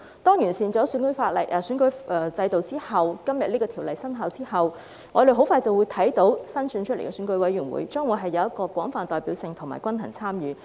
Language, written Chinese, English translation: Cantonese, 當《2021年完善選舉制度條例草案》生效後，我們很快便會看到新選出來的選委會將會有廣泛代表性和均衡參與。, Soon after the Improving Electoral System Bill 2021 comes into effect we will see broad representation and balanced participation in the newly elected EC